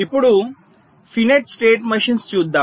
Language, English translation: Telugu, now let us come to finite state machines